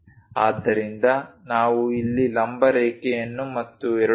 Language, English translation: Kannada, So, if we are drawing a vertical line here and a unit of 2